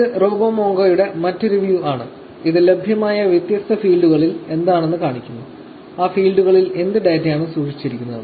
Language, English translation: Malayalam, So, this is another view of RoboMongo, which shows you what are the different fields that are available; what data is stored in those fields